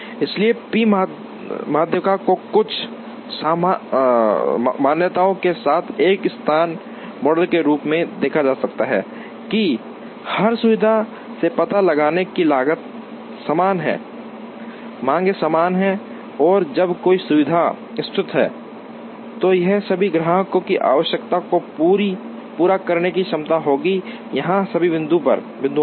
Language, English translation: Hindi, So, p median can be seen as a location model with certain assumptions that, the cost of locating in every facility is the same, demands are equal and when a facility is located, it will have the capacity to meet the requirements of all the customers or all the points